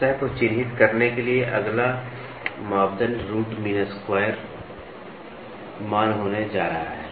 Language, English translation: Hindi, The next parameter to characterize a surface is going to be Root Mean Square Value